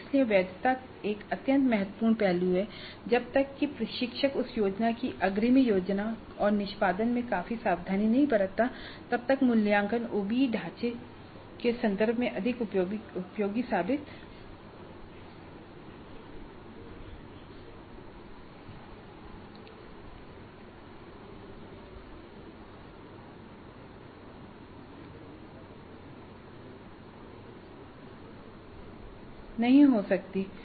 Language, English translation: Hindi, So the validity is an extremely important aspect and unless the instructor exercises considerable care in advance planning and execution of that plan properly, the assessment may prove to be of not much use in terms of the OBE framework